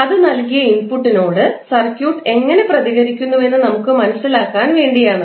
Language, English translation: Malayalam, Because we want to understand how does it responds to a given input